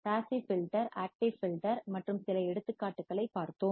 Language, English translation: Tamil, We have seen the passive filter, active filter and some of the examples